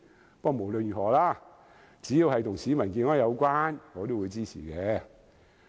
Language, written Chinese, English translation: Cantonese, 不過，無論如何，只要跟市民健康有關，我都會支持。, Nevertheless I will support them as long as they are related to public health